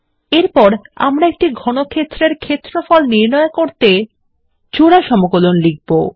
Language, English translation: Bengali, Next let us write an example double integral formula to calculate the volume of a cuboid